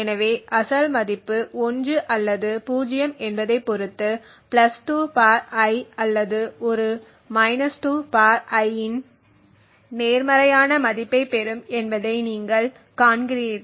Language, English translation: Tamil, So, you see that depending on whether the original value was 1 or 0 would get either a positive value of (+2 ^ I) or a ( 2 ^ I)